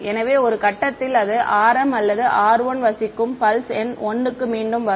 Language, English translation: Tamil, So, at some point it will come back to pulse number 1 where r m or r 1 lives